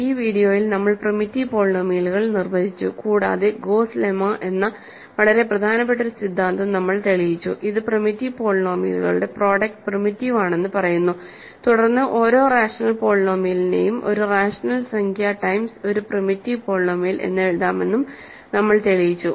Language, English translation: Malayalam, In this video, we defined primitive polynomials, and we proved a very important theorem called Gauss lemma which says that product of primitive polynomials is primitive and then we have shown that every rational polynomial can be written as a rational number times a primitive polynomial and that rational number is called the content